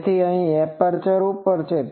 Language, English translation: Gujarati, So, this is a over aperture